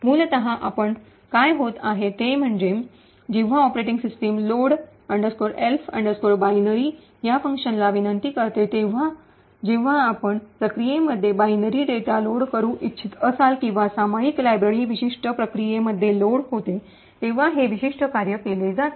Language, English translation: Marathi, Essentially what is happening is that when the operating system invokes this function load elf binary, so this particular function is invoked when you want to either load binary data to a process or a shared library gets loaded into a particular process